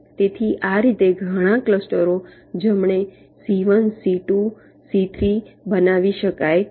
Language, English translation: Gujarati, so in this way, several clusters can be formed right: c one, c two, c, three